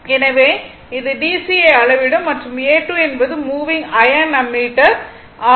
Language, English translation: Tamil, So, it will measure DC and A 2 is the moving iron ammeter